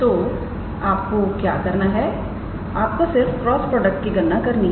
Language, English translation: Hindi, So, all you have to do is calculate this cross product